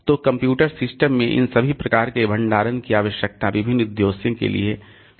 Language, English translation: Hindi, So, all these types of storage are required in a computer system for different purposes